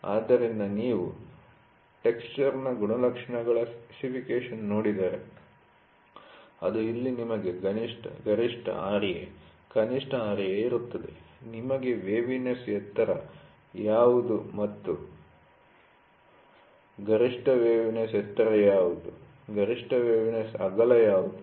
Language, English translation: Kannada, So, if you look at a specification of a texture characteristics, it will be here you will have maximum Ra, minimum Ra, maximum Ra, you will have what is the waviness height, what is the maximum waviness height, what is the maximum waviness width